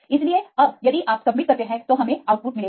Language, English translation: Hindi, So, now, if you submit we will get output